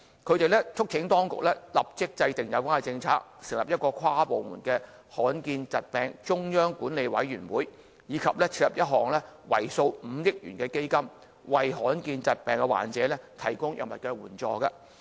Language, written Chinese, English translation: Cantonese, 他們促請當局立法制訂有關政策、成立一個跨部門罕見疾病中央管理委員會，以及設立一項為數5億元的基金，為罕見疾病患者提供藥物援助。, They urged the Government to immediately formulate a policy on rare diseases; establish an inter - departmental central committee on management of rare diseases; and immediately earmark 500 million to set up a rare diseases drug subsidy fund to provide subsidies for patients suffering from rare diseases